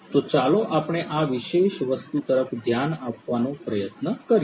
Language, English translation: Gujarati, So, let us try to look at this particular thing